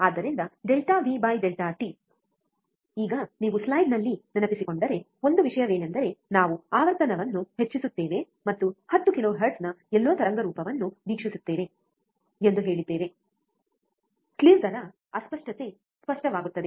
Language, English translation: Kannada, So, delta V by delta t, now one thing if you remember in the slide, we have said that increasing the frequency, and watch the waveform somewhere about 10 kilohertz, slew rate distortion will become evident